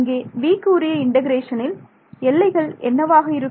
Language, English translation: Tamil, So, what are the limits of integration over here for v